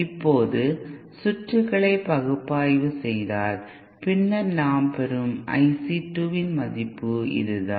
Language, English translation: Tamil, Now the collect now quantitatively if we analyse the circuit then the value of I C 2 that we get is this